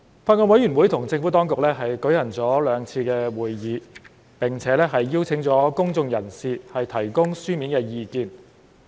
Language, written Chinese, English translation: Cantonese, 法案委員會與政府當局舉行了兩次會議，並且邀請了公眾人士提供書面意見。, The Bills Committee has held two meetings with the Administration and has invited members of the public to submit written views